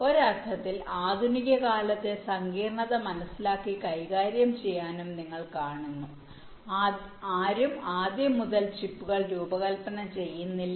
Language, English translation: Malayalam, you see, to tackle and handle the modern day complexity, no one designs the chips from scratch